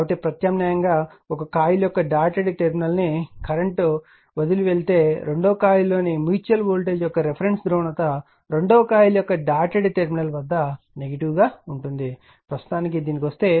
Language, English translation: Telugu, So, alternatively if a current leaves the dotted terminal of one coil, the reference polarity of the mutual voltage in the second coil is negative at the dotted terminal of the second coil right; for a now if you come if you come to this right